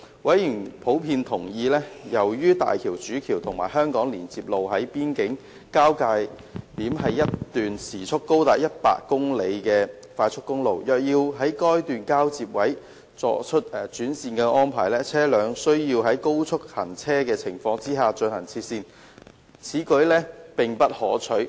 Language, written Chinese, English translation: Cantonese, 委員普遍同意，由於大橋主橋和香港連接路在邊境的交接點是一段時速高達100公里的快速公路，若要在該交接點轉換行車安排，車輛將需要在高速行車的情況下切線，此舉並不可取。, Given that the connection point of the HZMB Main Bridge and HKLR at the boundary is an expressway with a speed limit of 100 kmh members generally agree that switching of driving arrangements at the connection point is not preferable as vehicles will need to change lanes while moving at high speed